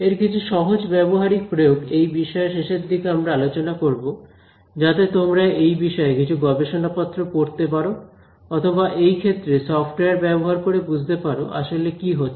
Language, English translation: Bengali, So, some simple applications I will tell you about at the end of this course you should be able to at least read the papers in this area or look at a software in this area and understand what is happening